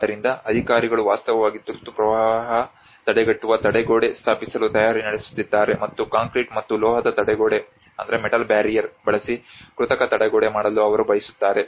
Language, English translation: Kannada, So the authorities are actually preparing to set up an emergency flood prevention barrier, and they want to make an artificial barrier using the concrete and metal barrier